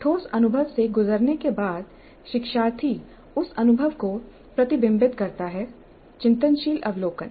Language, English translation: Hindi, Having undergone the concrete experience, the learner reflects on that experience, reflective observation